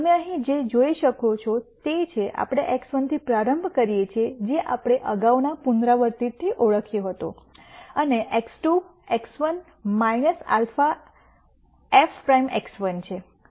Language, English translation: Gujarati, What you can see here is now, we start with X 1 which was what we identi ed from the previous iteration and X 2 is X 1 minus alpha f prime X 1